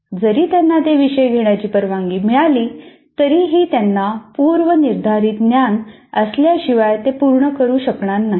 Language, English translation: Marathi, Even if they are permitted to do that, they will not be able to do unless they have the prerequisite knowledge